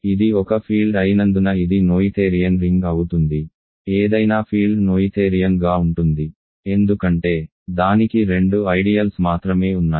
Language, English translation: Telugu, This of course, is a noetherian ring because it is a field; any field is noetherian because it has only two ideals